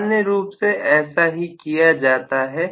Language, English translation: Hindi, And this is normally done